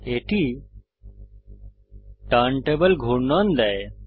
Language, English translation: Bengali, That gives us turntable rotation